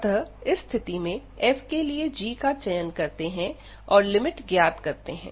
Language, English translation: Hindi, So, in this case we will choose some g for given f for the other way around, and compute this limit